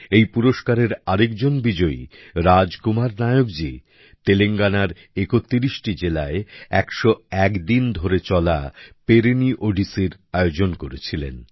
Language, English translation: Bengali, Another winner of the award, Raj Kumar Nayak ji, organized the Perini Odissi, which lasted for 101 days in 31 districts of Telangana